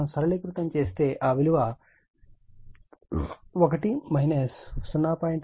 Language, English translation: Telugu, If we just simplify, it will be 1 minus 0